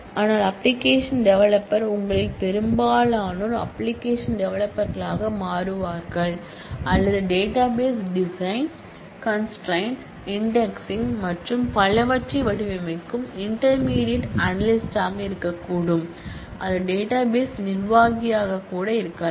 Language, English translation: Tamil, But there could be application developers expectedly most of you would become application developers or there could be intermediate higher level of analyst who design databases, design constraints, decide on indices and so on and that could be database administrator